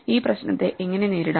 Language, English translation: Malayalam, So, how do we get around this problem